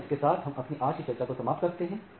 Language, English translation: Hindi, So, with this we conclude our today’s discussion